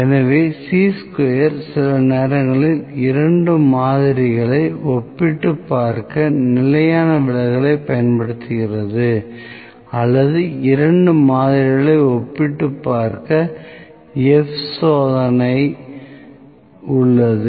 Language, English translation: Tamil, So, Chi square is using the standard deviation to compare two samples sometimes or to compare actually to compare two samples, F test is there